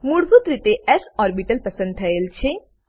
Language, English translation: Gujarati, By default, s orbital is selected